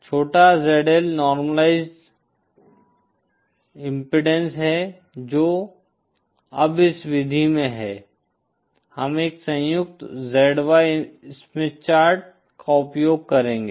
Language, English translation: Hindi, Say small ZL is the normalized impedance that isÉ Now in this method we will be using a combined ZY Smith Chart